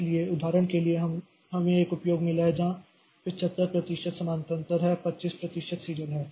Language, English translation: Hindi, So, for example, suppose we have got an application where 75% is parallel and 25% is serial